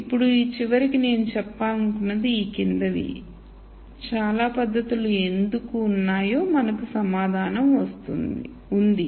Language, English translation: Telugu, Now ultimately what I want to point out is the following now we have an answer for why there are so many methods